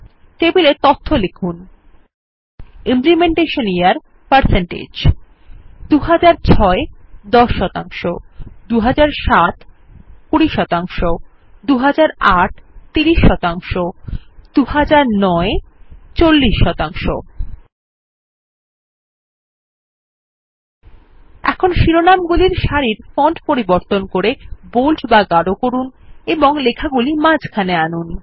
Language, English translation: Bengali, Enter data into the table as shows Implementation Year and#160% 2006 10% 2007 20% 2008 30% 2009 40% Now lets change the font of the header row to bold and center the text